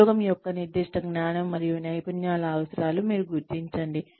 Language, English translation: Telugu, You identify, the specific knowledge and skills of the job, requires